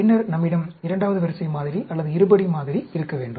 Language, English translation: Tamil, Then, we need to have a second order model, or a quadratic model